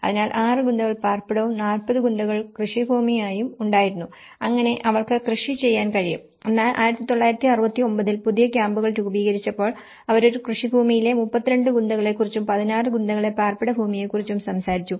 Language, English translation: Malayalam, So, there were 6 Gunthas of residential and 40 Gunthas of farmland so that they can do the farming and whereas, in 1969 when the new camps have been formed, so where they talked about 32 Gunthas in a farmland and the 16 Gunthas as a residential land